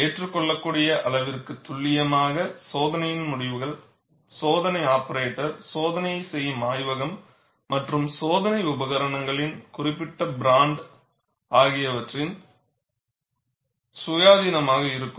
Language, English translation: Tamil, To some acceptable degree of precision, the results of the test be independent of the test operator, the laboratory performing the test and the specific brand of test equipment used